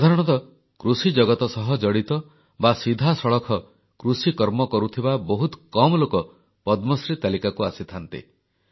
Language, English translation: Odia, Generally, very few people associated with the agricultural world or those very few who can be labeled as real farmers have ever found their name in the list of Padmashree awards